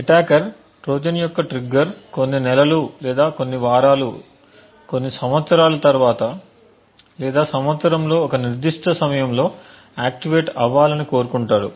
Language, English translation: Telugu, The attacker want that the Trojan’s trigger gets activated may say after a few months a few weeks or maybe even a few years or maybe at a specific time during the year